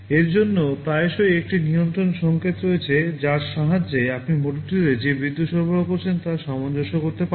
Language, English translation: Bengali, For this there is often a control signal with the help of which you can adjust the power supply you are applying to the motor